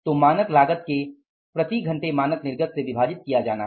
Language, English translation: Hindi, So, standard cost to be divided by the standard output per hour